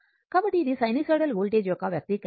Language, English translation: Telugu, So, this is the expression for the sinusoidal voltage, right